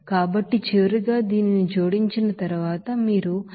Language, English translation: Telugu, So finally after adding this, you can get this 280